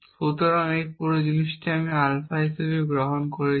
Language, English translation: Bengali, So, this whole thing I am taking as alpha